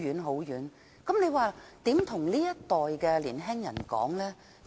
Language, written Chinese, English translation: Cantonese, 那我們又怎樣向這一代的年青人說呢？, So how can we say it to the young people of this generation?